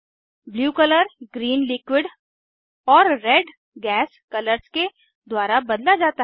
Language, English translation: Hindi, Blue color is replaced by Green and Red colors